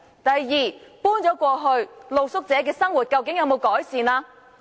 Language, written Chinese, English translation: Cantonese, 第二，露宿者搬遷後，他們的生活改善了嗎？, Second after street sleepers have been relocated do they have better living conditions?